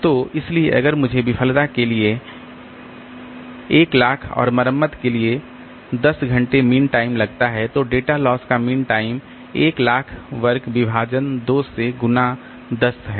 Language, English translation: Hindi, So, so, so if we have got a disk with 100,000 mean time to failure and 10 hour mean time to repair, then the mean time to data loss is 100,000 squared divided by 2 into 10